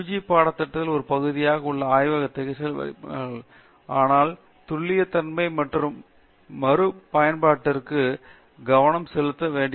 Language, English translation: Tamil, Now, once again the students are introduced to the lab classes in their as part of the UG curriculum, but there even not pay attention to preciseness, accuracy and repeatability and so on